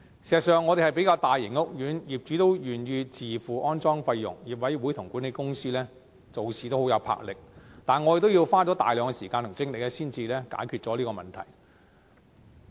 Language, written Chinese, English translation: Cantonese, 事實上，我們雖然是比較大型的屋苑，而且業主願意自付安裝費用，業委會和管理公司做事也很有魄力，但我們也要花大量時間和精力才能解決問題。, As a matter of fact though we are a relatively large housing estate moreover the owners are willing to pay for their own installation costs while the OC and the management company are also working with drive we have to spare substantial time and effort to resolve the problems